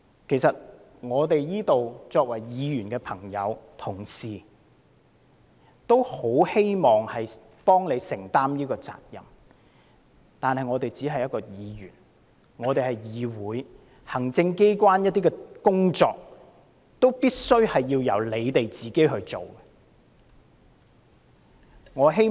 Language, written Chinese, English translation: Cantonese, 在座不少議員同事也希望協助政府，承擔責任，但我們只是議員，立法會是一個議會，行政機關的工作始終須交由政府官員執行。, Many fellow Members present here would very much like to help the Government by taking on responsibility but we are after all Members of this legislature ie . the Legislative Council of Hong Kong and the work of the executive authorities should be carried out by government officials